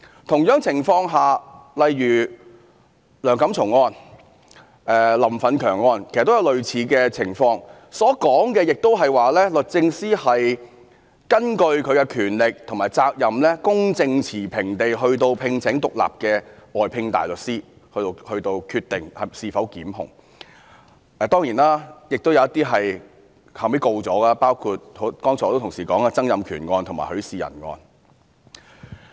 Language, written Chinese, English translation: Cantonese, 同樣情況下，例如梁錦松案、林奮強案，其實也有類似的情況，當中所說的也是律政司根據其擁有的權力和責任，公正持平地聘請獨立的外聘大律師，從而決定是否檢控，當然，亦有一些案件後來有決定檢控的，就像剛才很多議員提及的曾蔭權案和許仕仁案。, The same happened in the Antony LEUNG case and Franklin LAM case . DoJ also indicated that it had exercised its powers and responsibilities to hire independent outside counsels to provide unbiased legal opinions regarding whether or not a prosecution should be instituted . Of course in some cases DoJ decided to institute prosecutions such as the Donald TSANG case and Rafael HUI case that Members have mentioned just now